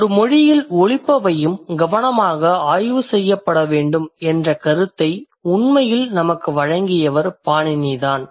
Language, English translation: Tamil, It's Panini who actually gave us an idea that sounds in a language should also be studied carefully